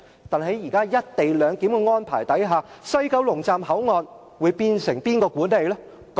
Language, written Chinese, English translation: Cantonese, 但是，在"一地兩檢"的安排下，西九龍站口岸將會由誰管理呢？, But under the co - location arrangement who is going to administer the Mainland Port Area in West Kowloon Station?